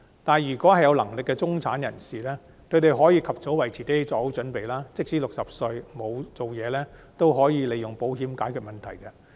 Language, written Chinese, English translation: Cantonese, 但有能力的中產人士則可及早為自己作好準備，即使60歲後沒有工作仍可利用保險解決問題。, But the capable middle class can make early preparations for themselves . Even if they have no work after turning 60 years old they can rely on insurance as a solution